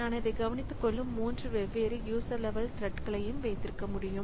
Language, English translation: Tamil, So, I can have three different user level threads that takes care of that